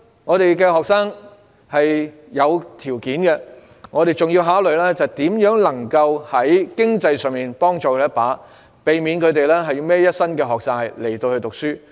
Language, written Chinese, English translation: Cantonese, 我們的學生是有條件的，但我們也要考慮如何在經濟上幫他們一把，以免他們背負一身學債。, While our students do have the endowments we must consider how to help them financially so that they will not become heavily indebted